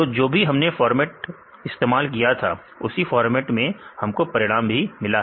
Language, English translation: Hindi, So, same format we use; so finally we get the same result